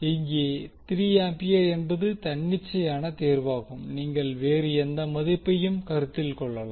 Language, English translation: Tamil, We have taken 3 ampere as an arbitrary choice you can assume any value